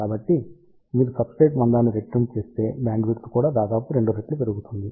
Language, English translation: Telugu, So, if you double the substrate thickness bandwidth will also increased by almost 2 times